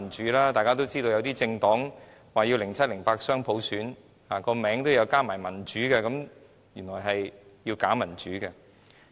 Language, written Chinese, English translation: Cantonese, 眾所周知，某政黨說要2007年、2008年雙普選，甚至政黨名稱也有"民主"二字，但原來是假民主。, As we all know a certain political party advocated dual universal suffrage in 2007 and 2008 and its party title also bears the word democratic but this is only bogus democracy